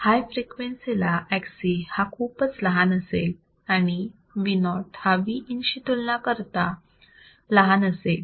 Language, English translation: Marathi, At very high frequencies Xc is very low and Vo is small as compared with Vin